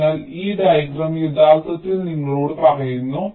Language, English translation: Malayalam, so this diagram actually tells you that